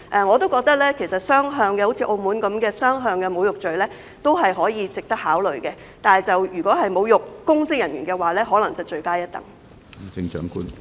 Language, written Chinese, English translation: Cantonese, 我也認為其實可以"雙向"的，像澳門般推行"雙向"的侮辱罪，這做法也值得考慮；但如果是侮辱公職人員，便可能罪加一等。, I also think that actually the introduction of a two - tiered insult offence like the one in Macao is worth considering and making insults to public officers may constitute an aggravated offence